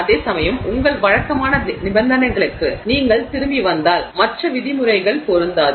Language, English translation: Tamil, Whereas if you come back to your regular conditions, those other terms may not be relevant